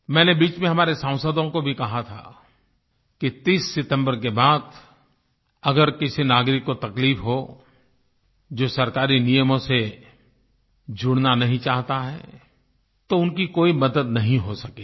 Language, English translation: Hindi, In between, I had even told the Members of the Parliament that after 30th September if any citizen is put through any difficulty, the one who does not want to follow due rules of government, then it will not be possible to help them